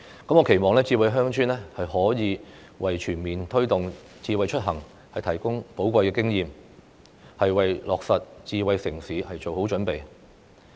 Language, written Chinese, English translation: Cantonese, 我期望"智慧鄉村"可以為全面推動"智慧出行"提供寶貴的經驗，為落實"智慧城市"做好準備。, I hope that smart village can serve as valuable experience for the promotion of smart mobility in a comprehensive manner thereby preparing our society for the implementation of smart city initiatives